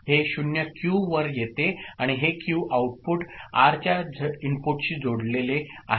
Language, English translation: Marathi, This 0 comes to Q and this Q output is connected to input of R